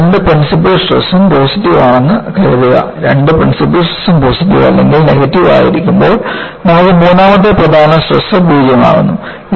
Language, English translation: Malayalam, Suppose, I have both the principal stresses are positive, when both the principal stresses are positive or negative, you have the third principal stress as 0